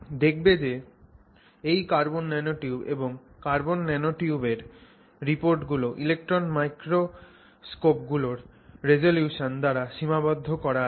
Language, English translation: Bengali, And you will see in all these cases the discovery of carbon nanotubes and the reports of carbon nanotubes have been limited by the resolution of electron microscopes